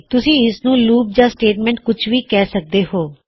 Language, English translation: Punjabi, You can choose to call it a loop or a statement